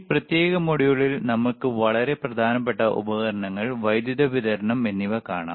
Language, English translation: Malayalam, So, in this particular module let us see the extremely important equipment, power supply